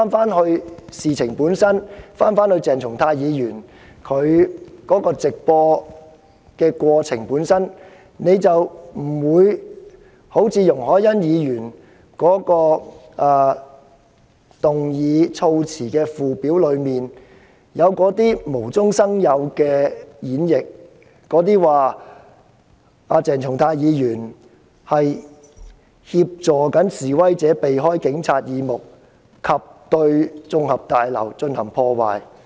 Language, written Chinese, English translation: Cantonese, 如果議員返回事情的本身，返回鄭松泰議員的直播行為本身，便不會產生容海恩議員所提議案的附表中無中生有的演繹，指鄭松泰議員"協助示威者避開警察耳目及對綜合大樓進行破壞"。, If Members return to the matter itself to Dr CHENG Chung - tais act of live streaming itself they will not come up with the same interpretation as the one which accuses Dr CHENG Chung - tai of assisting the protesters to avoid Police detection and vandalize the LegCo Complex based on mere fabrication in the Schedule to Ms YUNG Hoi - yans motion